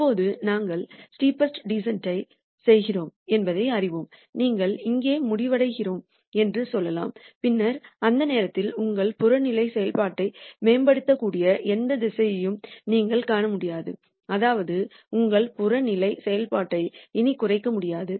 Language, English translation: Tamil, Now, notice that you know we do the steepest descent and let us say we end up here, then at that point you will nd no direction where you can improve your objective function that is you cannot minimize your objective function anymore